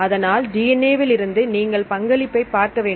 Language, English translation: Tamil, So, in this case you have to look for the contributions from the DNA